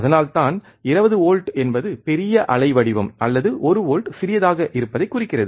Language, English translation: Tamil, That is why it does not represent that 20 volts is it looks bigger waveform or one volts which smaller both look same